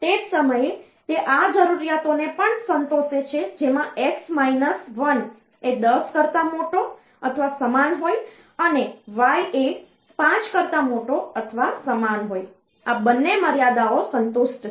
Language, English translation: Gujarati, At the same time it satisfies these requirements x minus 1 greater or equal to 10 and y greater or equal 5, both the constraints are satisfied